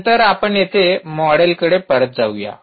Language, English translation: Marathi, so lets go back to the model here